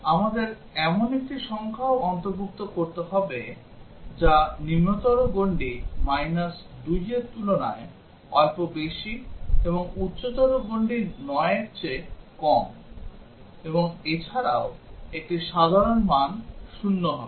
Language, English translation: Bengali, We would also have to include a number which is just higher than the lower bound that is minus 2 and just lower than the higher bound which is 9 and also a normal value which is 0